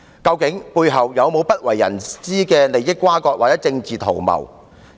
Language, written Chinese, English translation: Cantonese, 究竟背後是否有不為人知的利益轇轕或政治圖謀？, Are there any crony connections or political conspiracies behind the scene which are beyond our knowledge?